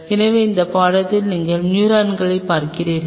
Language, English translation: Tamil, So, neurons are if you see this picture